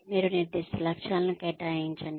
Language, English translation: Telugu, You assign specific goals